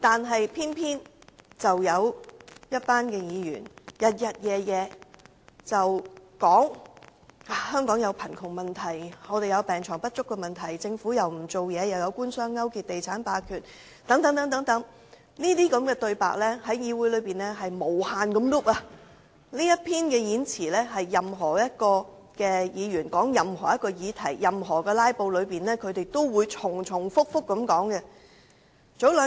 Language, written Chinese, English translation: Cantonese, 可是，有些議員不斷重複說香港面對貧富懸殊、病床不足、政府不做事、官商勾結及地產霸權等問題，這類言論在議會內不斷重複，而在"拉布"期間，任何議員在討論任何議題時都會重複提述上述內容。, However some people have repeatedly claimed that Hong Kong is plagued by problems such as the disparity between the rich and the poor shortage of hospital beds government inaction collusion between business and the Government and developer hegemony . Such claims have been repeated time and again in the legislature . During their filibustering those Members would invariably bring up these problems in the discussion on any issues